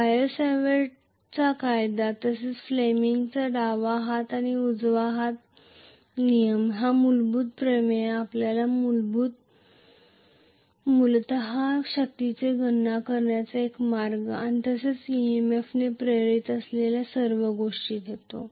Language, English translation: Marathi, The fundamental theorem that is the biot savart’s law as well as you know the Fleming’s left hand and right hand rule give you basically a way to calculate the force and as well as whatever is the EMF induced